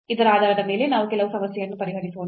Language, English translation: Kannada, Let us solve some problem based on this